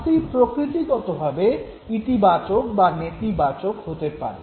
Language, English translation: Bengali, Now punishment can also be positive and negative in nature